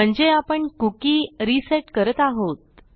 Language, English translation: Marathi, So we are resetting a cookie